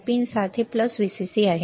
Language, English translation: Marathi, Pin 7 is plus VCC